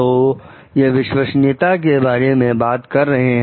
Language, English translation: Hindi, So, these talks of like: trustworthiness